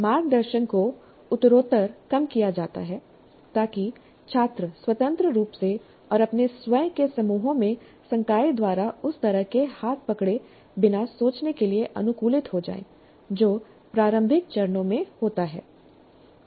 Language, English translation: Hindi, And guidance is reduced progressively so that students get adapted to thinking independently and in groups of their own without the kind of handholding by the faculty which happens in the initial stages